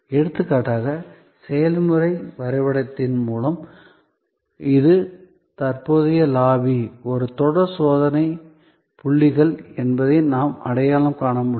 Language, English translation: Tamil, For example, through process map we could identify that this, the current lobby is a series of check points